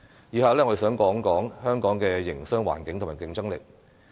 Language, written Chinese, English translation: Cantonese, 以下我想談談香港的營商環境和競爭力。, Next I will speak on the business environment and competitiveness of Hong Kong